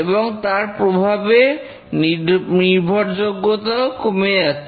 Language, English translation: Bengali, And then after some time the reliability decreases